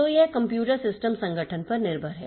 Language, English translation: Hindi, So, it is dependent on the computer system organization